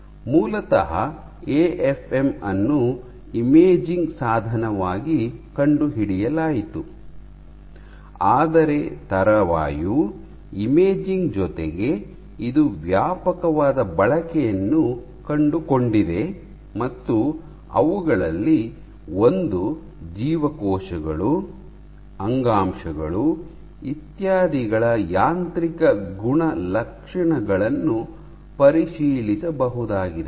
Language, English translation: Kannada, So, originally AFM was discovered as an imaging tool, it was discovered as an imaging tool; however, in addition to imaging subsequently it has found wider users in other techniques, one of which is for example, probing mechanical properties of cells tissues etcetera ok